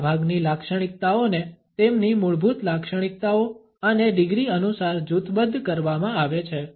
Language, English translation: Gujarati, Most typical differentiations are grouped according to their basic characteristic and by degrees